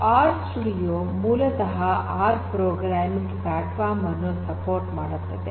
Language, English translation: Kannada, R studio basically has support for this R programming platform